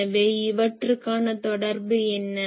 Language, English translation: Tamil, So, what is the relation